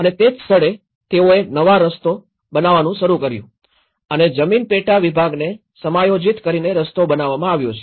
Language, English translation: Gujarati, And that is where then they started making new paths and the land subdivision has been adjusted and the road is built